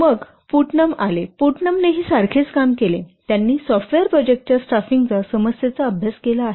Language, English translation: Marathi, So then Putnam has studied some what the problem of staffing of software projects